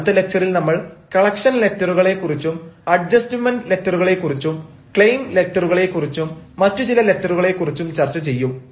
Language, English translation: Malayalam, we shall be talking about ah collection letters, adjustment letters, claim letters and some other letters in the next lecture